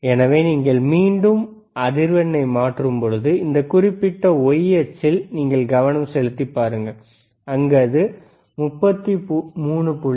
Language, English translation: Tamil, So, again if you can change the say frequency, you see you have to concentrate on this particular the y axis, where it is showing 33